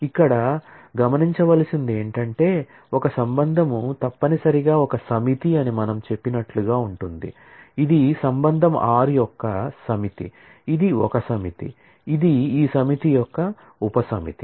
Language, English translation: Telugu, Now, what is important to note here is a relation necessarily is a set as we said is a set, which is the as the relation R is a set, this is a set, which is a subset of this set